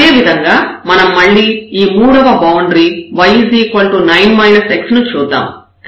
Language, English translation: Telugu, Similarly, we have to do again this third boundary y is equal to 9 minus x